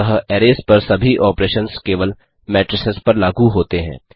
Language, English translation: Hindi, Thus all the operations on arrays are valid on matrices only